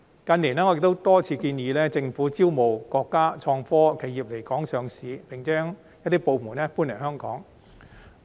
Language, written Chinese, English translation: Cantonese, 近年，我亦多次建議政府招募國家創科企業來港上市，並且將一些部門搬來香港。, In recent years I have repeatedly proposed that the Government should invite our countrys innovation and technology enterprises to come to list in Hong Kong and to relocate some of their departments here